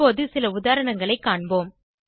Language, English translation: Tamil, Lets us see some examples now